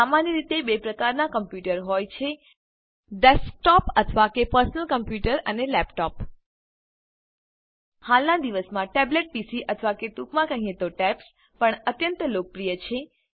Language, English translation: Gujarati, Generally, there are 2 types of computers Desktop or Personal Computer and Laptop Now a days, tablet PCs or tabs for short, are also quite popular